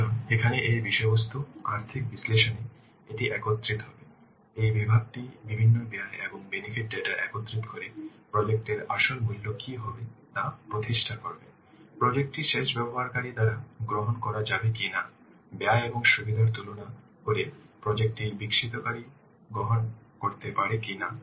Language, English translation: Bengali, So, here in this content financial analysis, this will combine, this section will combine the various costs and benefit data to establish what will the real value of the project, whether the project can be accepted by the end user not, whether the project can be accepted by the developer not by comparing the cost and benefits